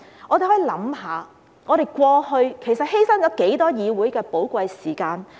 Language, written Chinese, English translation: Cantonese, 我們可以想一想，過去其實犧牲了多少寶貴的議會時間？, Let us think about how much valuable parliamentary time had been sacrificed in the past